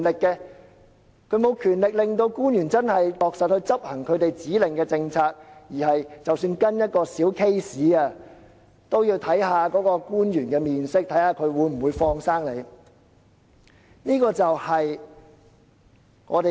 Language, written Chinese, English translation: Cantonese, 區議員沒有權力令官員落實執行他們指令的政策，即使只是跟進一宗小個案，他們也要看官員的臉色，看看官員會否"放生"你。, Actually DC members have no authority to press government officials to implement policies as per their instructions . Even in following up a minor case they have to pander to the whims of government officials and see whether the latter will let go